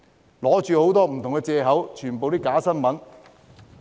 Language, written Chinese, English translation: Cantonese, 他們用的很多不同藉口全都是假新聞。, Many of the different excuses they use are all based on fake news